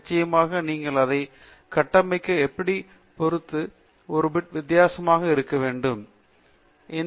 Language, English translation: Tamil, Of course, it can look a bit different depending on how you configure it